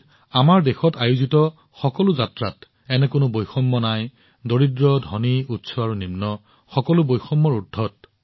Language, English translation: Assamese, Similarly, in all the journeys that take place in our country, there is no such distinction between poor and rich, high and low